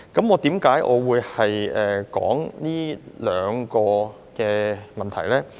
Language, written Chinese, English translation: Cantonese, 為何我會談這兩項法例呢？, Why do I talk about these two ordinances?